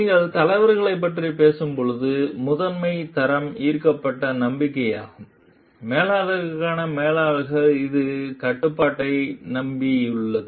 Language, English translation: Tamil, When you are talking of leaders, the primary quality is that of inspired trust; managers for managers it is rely on control